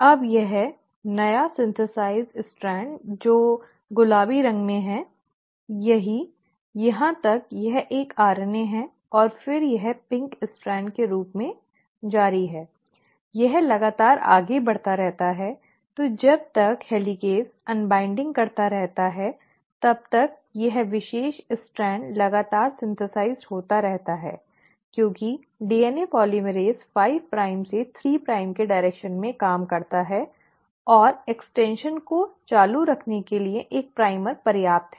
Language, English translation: Hindi, Now this newly synthesised strand which is pink in colour, this one, right, till here it is a RNA and then it continues as a pink strand; it keeps on continuously moving, so as the helicase keeps on unwinding this particular strand is continuously getting synthesised because DNA polymerase works in the 5 prime to 3 prime direction, and one primer is enough to keep the extension going